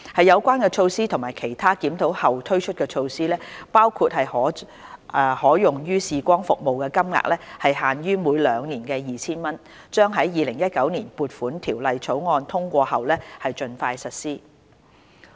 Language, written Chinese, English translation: Cantonese, 有關措施及其他檢討後推出的措施，包括將可用於視光服務的金額限於每兩年 2,000 元，將於《2019年撥款條例草案》通過後盡快實施。, Such measures together with other measures introduced after a review including the introduction of a cap on the amount of EHVs that can be spent on optometry services at a level of 2,000 every two years will be implemented as soon as possible after the passage of the Appropriation Bill 2019